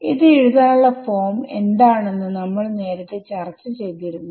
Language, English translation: Malayalam, And we have already discussed what is the form to write this thing